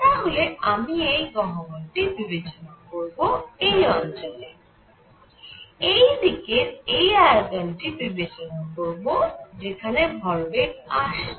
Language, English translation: Bengali, I will consider this cavity and in this area; consider this volume from this side from where the momentum is coming in